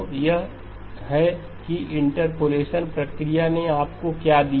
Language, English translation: Hindi, So that is what the process of interpolation gave you